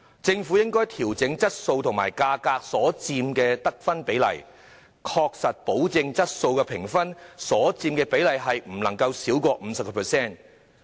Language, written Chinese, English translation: Cantonese, 政府應該調整質素和價格所佔的得分比例，確保質素評分所佔比例不能少於 50%。, The Government should adjust the weightings of quality and price in the scores and ensure that the weighting of quality cannot be less than 50 %